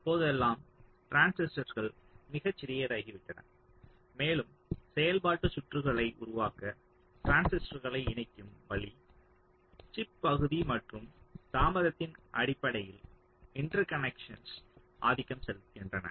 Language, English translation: Tamil, nowadays, the transistors have become very small and the interconnections the way we want to connect the transistors to build our functional circuits they tend to dominate in terms of the chip area and also in terms of the delay